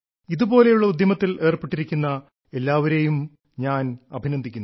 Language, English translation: Malayalam, I extend my greetings to all such individuals who are involved in such initiatives